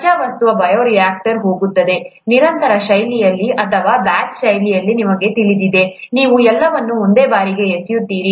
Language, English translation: Kannada, Raw material goes into the bioreactor, either in a continuous fashion or in a batch fashion, you know, you dump everything at one time